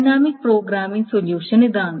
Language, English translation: Malayalam, It does a dynamic programming solution